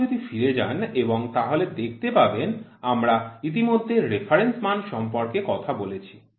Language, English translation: Bengali, If you go back and see we have already talked about reference value